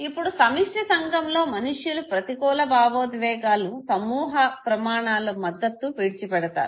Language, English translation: Telugu, Now in collectivist society people forgo negative emotions in order to support group standards okay